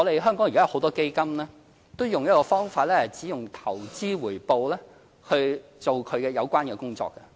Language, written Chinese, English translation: Cantonese, 香港現在有很多基金都用一個方法，是只用投資回報來進行它的有關工作。, Indeed many funds in Hong Kong adopt this method in which they pay for their expenses solely with their investment returns